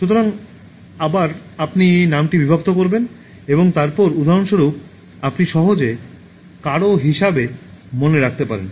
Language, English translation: Bengali, So then again you can split the name and then for example you can easily remember as somebody